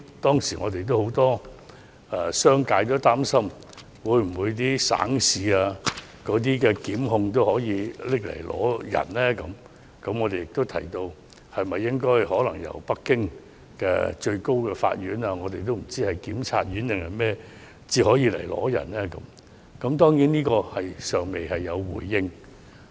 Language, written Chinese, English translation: Cantonese, 當時，很多商界擔心省市檢察機關也會要求香港移交犯人，我們便建議須由北京最高人民檢察院要求才可移交犯人，這一點當局尚未有回應。, At that time many members from the business sector worried that provincial and municipal procuratorates would make requests for extradition of offenders to Hong Kong we thus proposed that extradition requests must be made by the Supreme Peoples Procuratorate in Beijing